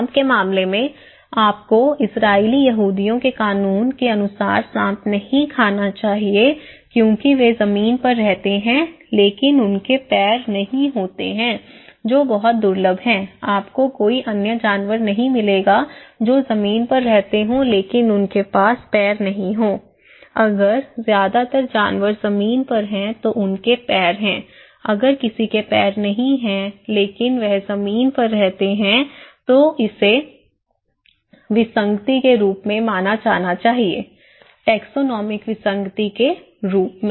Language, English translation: Hindi, In case of snake, you should not eat snake according to Israeli Jews law because they live on land but they have no legs thatís very rare, you would not find any other animals that live on land but no legs so, if most of the animals they are on land, they have legs so, if someone does not have legs but living on land, this is should be considered as anomaly, okay; taxonomic anomalies